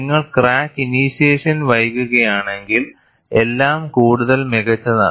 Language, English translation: Malayalam, If you delay the crack initiation, it is all the more better